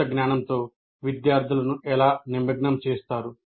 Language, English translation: Telugu, Once the students are engaged with the knowledge, how do you engage